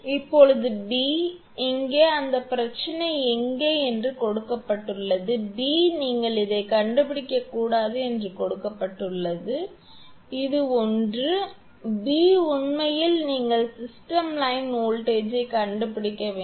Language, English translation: Tamil, Now, b, it is given that where is that problem here; b it is given that you have to find out not this one, example 4 this one, b actually you have to find out system line voltage system line voltage this is b